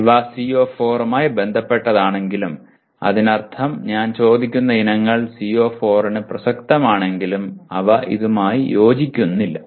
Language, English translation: Malayalam, While these are related to CO4 that means the items that I am asking are relevant to CO4 but they are not in alignment with this